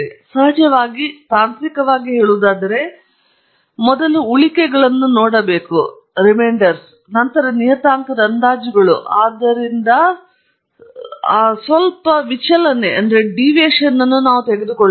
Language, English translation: Kannada, Of course, technically speaking, we should look at the residuals first, and then the parameter estimates, but we are taking a slight deviation from that